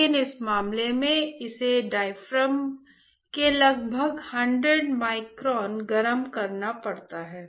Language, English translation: Hindi, But in this case it has to heat about 100 microns of the diaphragm